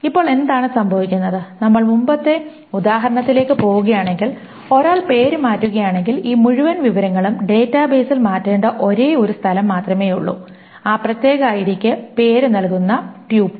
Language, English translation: Malayalam, And now what happens is that if we go about the previous example, if one changes the name, there is only one place that this whole information needs to be changed in the database, the tuple corresponding to that particular ID2 name